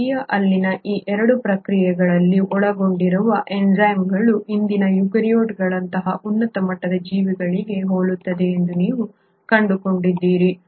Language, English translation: Kannada, You find that the enzymes involved in these 2 processes in Archaea are very similar to the present day eukaryotes the higher end organisms